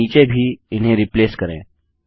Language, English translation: Hindi, Down here, too, replace these